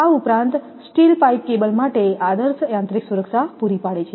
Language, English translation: Gujarati, In addition, the steel pipe provides an ideal mechanical protection for the cable